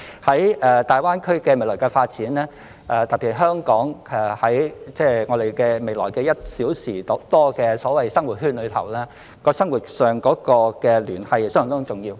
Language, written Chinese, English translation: Cantonese, 在大灣區的未來發展中，特別是在香港未來的所謂1小時生活圈內，生活上的聯繫相當重要。, In the future developments of the Greater Bay Area particularly the so - called one - hour living circle around Hong Kong the interconnectedness in life is rather important